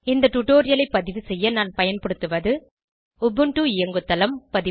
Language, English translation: Tamil, To record this tutorial, I am using Ubuntu OS version